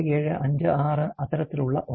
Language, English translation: Malayalam, 8756 something like that